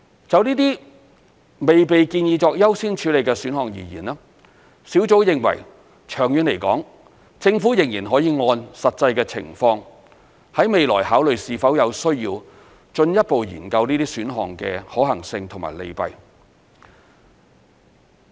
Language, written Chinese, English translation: Cantonese, 就這些未被建議作優先處理的選項而言，小組認為長遠來說，政府仍然可以按實際情況，在未來考慮是否有需要進一步研究這些選項的可行性及利弊。, As for these options which have not been recommended as priority the Task Force believes in the long run the Government can still consider in the future if it is necessary to conduct further studies on the viability as well as pros and cons of those options according to the actual circumstances